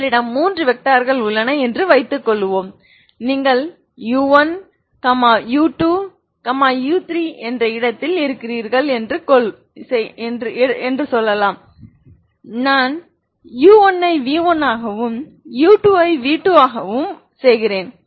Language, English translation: Tamil, Suppose you have three vectors let us say you are in the space u1 u2 u3, u1 u2 i make it v1 u1 is v1 u2 is v2 now u3 is also you can make so i can now take u3 i want v3 as a linear combination, now you have v1 and v2